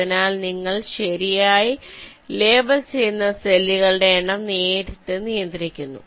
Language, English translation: Malayalam, so you are directly restricting the number of cells you are labeling right now